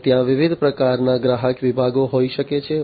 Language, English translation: Gujarati, And there could be different types of customer segments